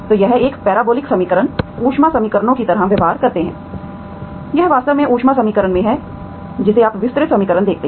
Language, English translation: Hindi, So these parabolic equations behave like the heat equations, it is actually in the heat equation you see that diffusive equation, you call diffusive equation, okay, heat equation